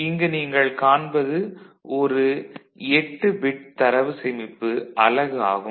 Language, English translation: Tamil, So, this is what you can see that an 8 bit data storage unit